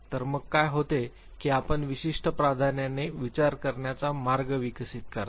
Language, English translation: Marathi, So what happens, that you develop certain preferred way of thinking